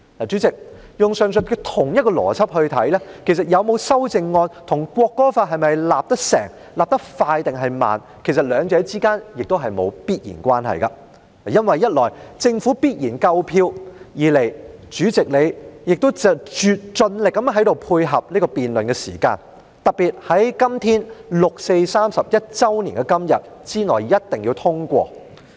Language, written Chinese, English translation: Cantonese, 主席，根據上述同一邏輯，其實有沒有修正案，與《條例草案》能否制定和制定得快或慢，兩者之間亦沒有必然關係，因為一來，政府必然夠票；二來，主席你亦在辯論的時間上盡力配合，特別是要在六四31周年的今天之內一定要通過。, Chairman according to the same logic that I explained above whether or not there is any amendment is not necessarily related to whether the Bill will be enacted and whether it will be enacted quickly or slowly . It is because firstly the Government certainly has enough votes and secondly Chairman you are doing everything you can to provide support in terms of the time for debate especially as the Bill must be passed today ie . the 31 anniversary of the 4 June incident